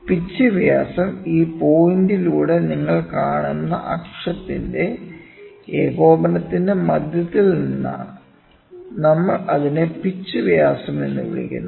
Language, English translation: Malayalam, Pitch diameter is from centre of the coaxial of the axis you will see through this point, we call it as the pitch diameter, ok